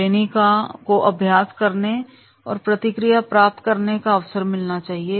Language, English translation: Hindi, Training should have the opportunity to practice and receive feedback